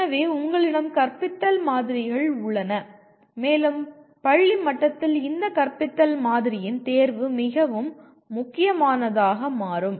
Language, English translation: Tamil, So you have a bunch of teaching models and maybe different these choice of this particular teaching model will become important more at school level